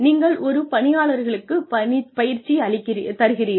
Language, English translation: Tamil, We invest in the training of an employee